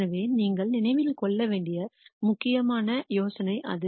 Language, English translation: Tamil, So, that is the important idea that that you should remember